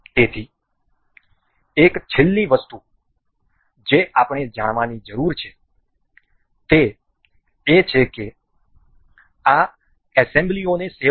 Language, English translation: Gujarati, So, one last thing that we need to know is to for saving of these assembly